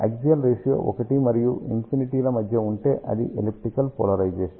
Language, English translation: Telugu, If axial ratio is between 1 and infinity, then it is elliptical polarization